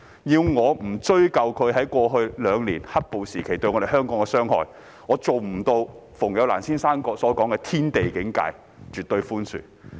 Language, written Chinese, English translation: Cantonese, 要我不追究他們在過去兩年"黑暴"時期對香港的傷害，我做不到如馮友蘭先生所說的"天地境界"般絕對寬恕。, I cannot be as forgiving as one who belongs to the celestial and terrestrial realms as described by Mr FENG Youlan if I do not hold them accountable for the harm they did to Hong Kong in the past two years when black - clad violence ran rampant